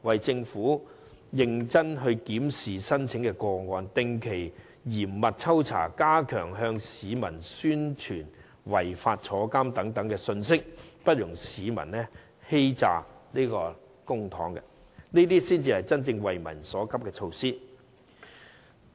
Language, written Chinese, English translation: Cantonese, 政府應認真檢視申請個案，定期嚴密抽查，並加強向市民宣傳違法可致入獄的信息，不容市民欺詐公帑，這才是真正急民所急的措施。, The Government should examine the applications seriously conduct regular and stringent inspections and reinforce the public dissemination of the message that violations may result in imprisonment . It should not tolerate any deception of public money . This is rightly the measure addressing the urgent needs of the public